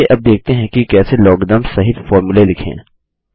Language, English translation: Hindi, Now let us see how to write formulae containing logarithms